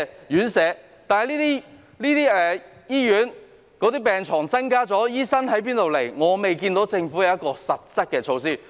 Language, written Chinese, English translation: Cantonese, 可是，對於醫院增加病床後，醫生究竟從何來的問題，我未見政府有任何實質措施。, Nonetheless regarding where the doctors will come from after the increase in hospital beds I have not seen any concrete measures implemented by the Government